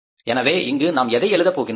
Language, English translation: Tamil, So, we will have to write here particulars